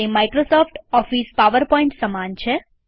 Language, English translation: Gujarati, It is the equivalent of Microsoft Office PowerPoint